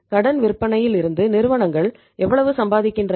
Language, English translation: Tamil, How much companies are earning on credit sales